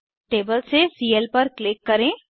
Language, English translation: Hindi, Click on Cl from the table